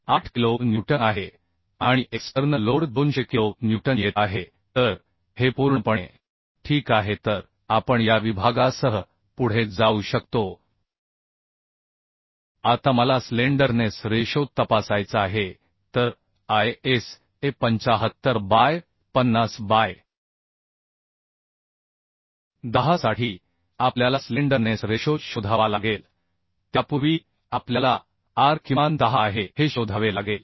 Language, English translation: Marathi, 8 kilonewton and the external load is coming 200 kilonewton so this is absolutely ok so we can go ahead with this section Now I have to go for slenderness ratio check So for ISA 75 by 50 by 10 the slenderness ratio we have to find out before that we have to find out r minimum is 10